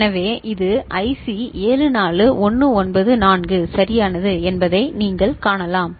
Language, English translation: Tamil, So, you can see this is IC 74194 right